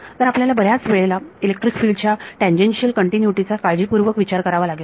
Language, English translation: Marathi, So, we have to many times worry about tangential continuity of electric fields